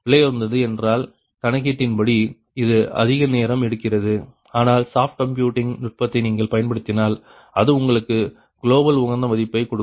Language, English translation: Tamil, computationally it may take more time, but soft computing technique, if you apply that, will give you a global optimum value